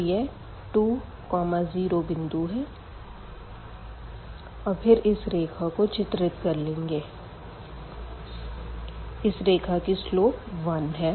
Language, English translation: Hindi, So, this is the point 2 0 here and then we can draw this line which has slope 1 and this line also has slope 1